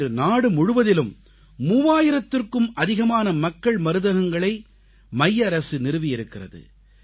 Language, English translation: Tamil, Today, over three thousand Jan Aushadhi Kendras have been set up across the country